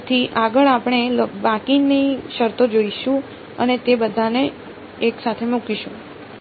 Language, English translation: Gujarati, So, next we will look at the remaining terms and put them all together